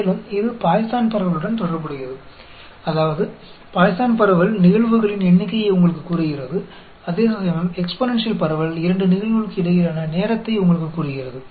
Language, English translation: Tamil, And, it is related to Poisson distribution, in the sense that, the Poisson distribution tells you the number of events, whereas the exponential distribution tells you the time between two events